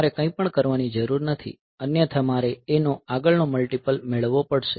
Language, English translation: Gujarati, So, you do not need to do anything otherwise I have to get the next multiple of A